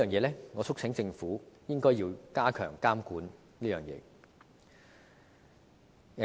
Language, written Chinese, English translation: Cantonese, 就此，我促請政府加強監管。, In this connection I urge the Government to step up regulation in this regard